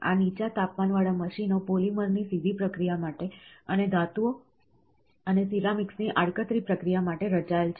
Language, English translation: Gujarati, These low temperature machines are designed for directly processing polymer, and for indirectly processing of metals and ceramics